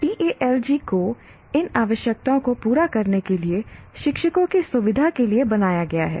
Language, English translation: Hindi, And the Stalogy is designed to facilitate teachers to meet these requirements